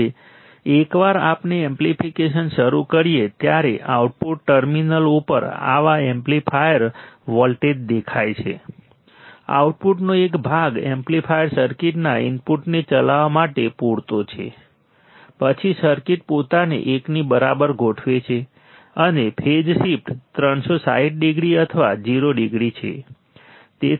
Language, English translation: Gujarati, Now, once we start the amplification such amplifier voltage appears at the output terminals, a part of output is sufficient to drive the input of the amplifier circuit, then the circuit adjusted itself to equal to 1, and phase shift is 360 degree or 0 degree